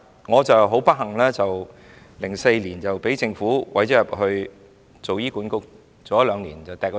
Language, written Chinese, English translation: Cantonese, 我很不幸 ，2004 年被政府委任入醫管局，但兩年後便停止委任。, It was very unfortunate that I was appointed by the Government to the HA Board in 2004 but my appointment came to an end two years later